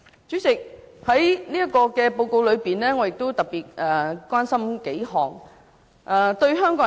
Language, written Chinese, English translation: Cantonese, 主席，在這份報告中，我特別關心數方面。, President insofar as this report is concerned I am particularly concerned about several aspects